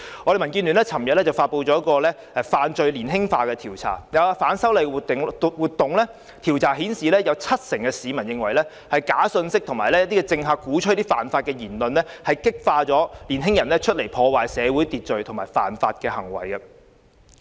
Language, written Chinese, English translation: Cantonese, 民主建港協進聯盟昨天發布"市民對'犯罪年輕化'意見調查"，就有關反修例活動的調查顯示，有七成市民認為假信息及政客鼓吹犯法的言論激發了年輕人破壞社會秩序和犯法的行為。, Yesterday the Democratic Alliance for the Betterment and Progress of Hong Kong announced the result of an opinion survey on the Rising Trend of Youth Crime which is related to the movement on the opposition to the proposed legislative amendments . According to the survey 70 % of the public held that those young people who disrupt social order and break the law are instigated by fake news and remarks of politicians which advocate defiance of the law